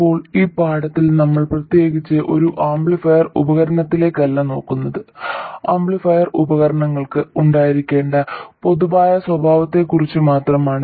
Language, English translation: Malayalam, So, what we will do in this lesson is to see the looking at any amplifier device in particular but only about general characteristics that amplifier devices must have